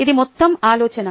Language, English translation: Telugu, ok, there is a whole idea